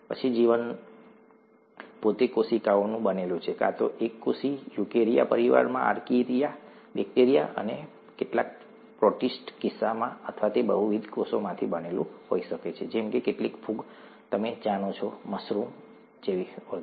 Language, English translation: Gujarati, Then life itself is made up of cells, either single cells, as the case of archaea, bacteria and some protists, in the eukarya family, or it could be made up of multiple cells, such as some fungi, you know mushrooms and so on so forth, the fungi, animals of course, plants, humans, and so on, okay